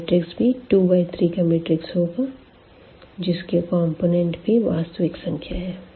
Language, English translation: Hindi, So, this will be again a matrix of order 2 by 3 and this is also over this R set of real numbers we are talking about